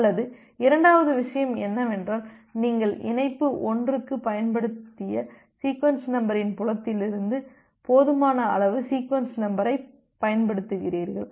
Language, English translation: Tamil, Or the second thing is that you use the sequence number which is high enough from the sequence number field that you have used for the connection 1